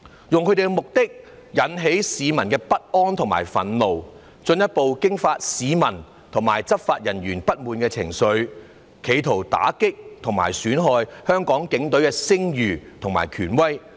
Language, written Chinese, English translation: Cantonese, 他們的目的，是要引起市民的不安和憤怒，進一步激化市民對執法人員不滿的情緒，企圖打擊和損害香港警隊的聲譽和權威。, Their aim is to arouse the unease and anger of the public so as to intensify the discontent of the public with law enforcement officers in an attempt to impact on and damage the reputation and authority of the Police Force in Hong Kong